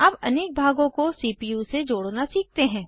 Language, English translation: Hindi, Now, lets learn how to connect the various components to the CPU